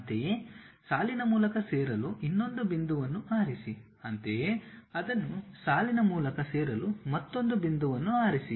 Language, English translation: Kannada, Similarly, pick another point join it by line; similarly, pick another point join it by line and so on